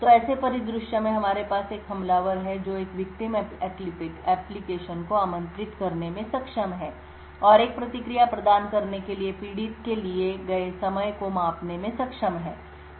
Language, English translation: Hindi, So, in such a scenario we have an attacker who is able to invoke a victim application and is able to measure the time taken for the victim to provide a response